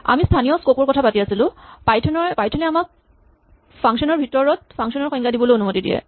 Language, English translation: Assamese, While we are on the topic of local scope, Python allows us to define functions within functions